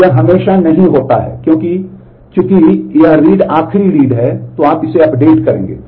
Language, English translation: Hindi, So, it is not always that since this read is the last read you will update this